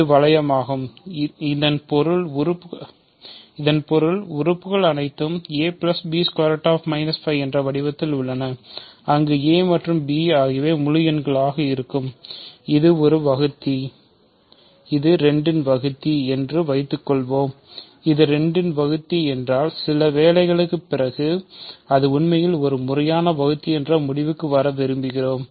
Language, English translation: Tamil, So, this is the ring that means, elements are of this form, where a and b are integers, is a divisor of, suppose this is a divisor of 2, if this is a divisor of 2 we would like to conclude after some work that it, it is in fact, a proper divisor